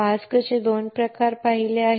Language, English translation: Marathi, There are two types of mask which we have seen